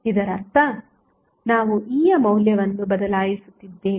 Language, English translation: Kannada, It means that we are replacing the value of E